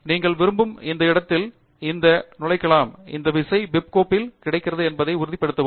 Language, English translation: Tamil, You can insert these at any location that you like; only make sure that this key is available in the bib file